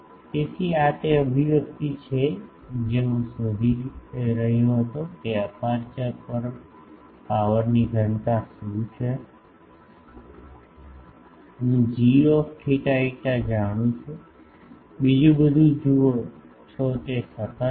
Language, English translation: Gujarati, So, this is the expression I was finding out that what is the power density at the aperture, I know g theta phi everything else you see that is constant